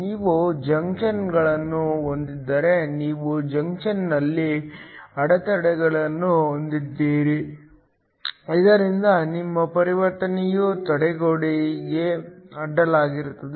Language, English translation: Kannada, If you have junctions then you have barriers at the junction, so that your transition could be across a barrier